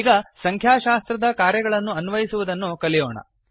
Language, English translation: Kannada, Now, lets learn how to implement Statistic Functions